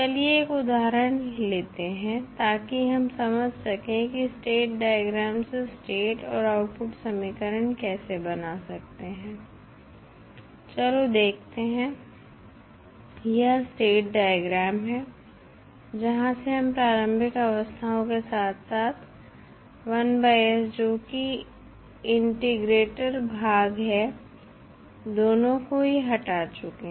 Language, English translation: Hindi, Let us, take one example so that we can understand how we can find out the state and output equation with the help of state diagram, let us see this is the state diagram where we have removed the initial states as well as the 1 by s that is the integrator section